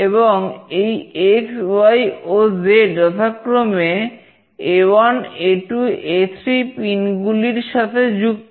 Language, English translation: Bengali, And this x, y, and z is connected to pin A1, A2, and A3